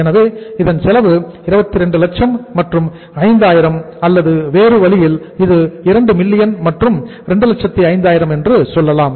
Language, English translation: Tamil, So this is the cost 22 lakhs and 5000 or in other way around you can say it is 2 millions and 205,000